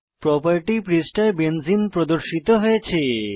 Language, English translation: Bengali, Benzene structure is displayed on the property page